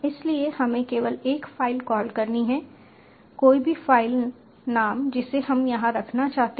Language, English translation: Hindi, so we just have to call a file any file name we want to put over